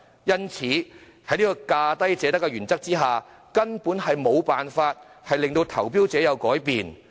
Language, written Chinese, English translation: Cantonese, 因此，在價低者得的原則下，根本無法令投標者改變。, Hence under the principle of lowest bid wins the tenderers will not change at all